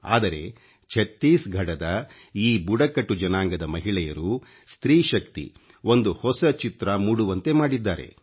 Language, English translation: Kannada, But the woman power of Chattisgarh, the tribal women there broke this stereotype & presented an all new picture of themselves